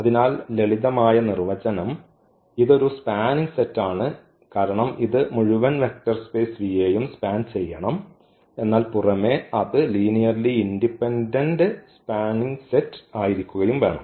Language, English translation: Malayalam, So, the simple definition it is a spanning set because it should span the whole vector space V, but what is in addition that the linearly independent set